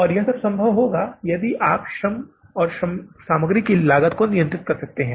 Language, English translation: Hindi, And this all has been possible or would be possible if you control the material cost and the labour cost